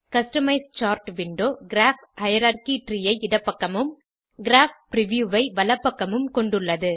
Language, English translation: Tamil, Customize Chart window has, Graph hierarchy tree on the left and Graph preview on the right